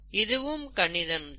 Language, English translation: Tamil, That's also mathematics